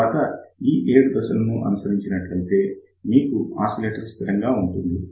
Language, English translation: Telugu, And then follow these seven steps, and you will have oscillator ready for you